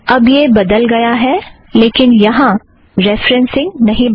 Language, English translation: Hindi, So this has changed but the referencing here has not changed